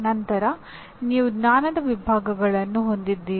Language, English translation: Kannada, Then you have knowledge categories